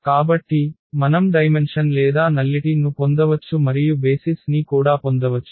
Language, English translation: Telugu, So, we can just get the dimension or the nullity and also the basis simply